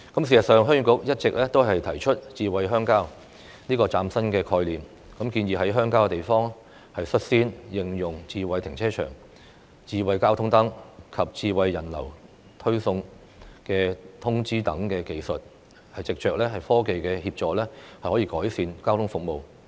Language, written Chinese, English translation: Cantonese, 事實上，鄉議局一直提出"智慧鄉郊"這個嶄新的概念，建議在鄉郊地區率先應用"智慧停車場"、"智慧交通燈"及"智慧人流推送通知"等技術，藉着科技的協助改善交通服務。, In fact the Heung Yee Kuk has all along advocated the new concept of smart rural area with the rural areas taking the lead in using technologies such as smart car park smart traffic light and smart push notification on pedestrian flow for the purpose of improving transportation service through technology